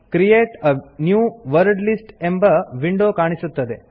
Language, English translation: Kannada, The Create a New Wordlist window appears